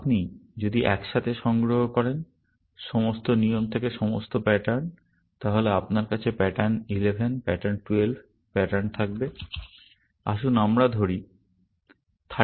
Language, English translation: Bengali, If you collect together, all the patterns from all the rules, then you would have pattern 11, pattern 12, pattern, let us say, 31, pattern 32